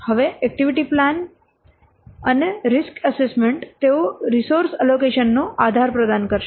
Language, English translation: Gujarati, Then the activity plan and the risk assessment will provide the basis for allocating the resources